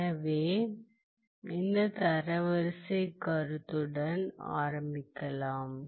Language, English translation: Tamil, So, let’s start with this notion of rank